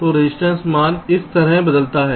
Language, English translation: Hindi, so the resistance value changes like this